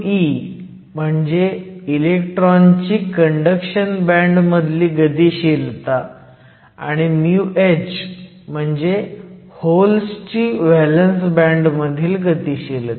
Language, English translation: Marathi, So, mu e is the mobility of the electron in the conduction band, mu h is the mobility of the hole in the valance band